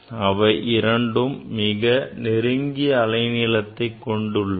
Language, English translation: Tamil, That means, it has fixed wavelength